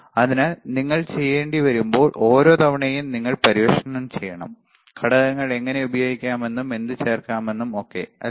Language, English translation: Malayalam, So, every time when you have to do you have to explore, what to add what not to add how to use the components, right